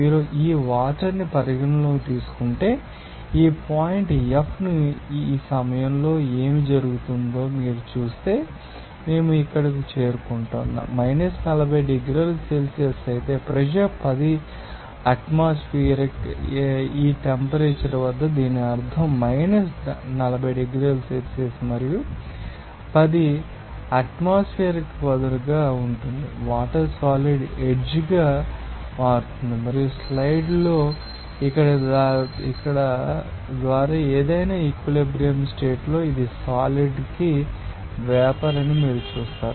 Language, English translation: Telugu, Now if we consider that water, you will see that if we consider this point F what will happen at this point, we are getting here 40 degrees Celsius whereas, pressure is 10 atmosphere, what does it mean at this temperature of 40 degrees Celsius and 10 atmospheric be sharp the water will become a solid edge and at an equilibrium condition of any via here in the slide you will see that this is vapour to solid